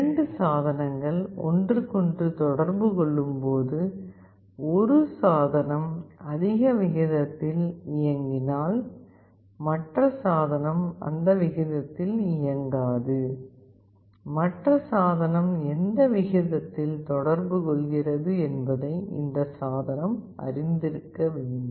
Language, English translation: Tamil, When 2 devices communicate with each other, if one device runs at a higher rate other device does not runs at that rate, this device must know at what rate the other device is communicating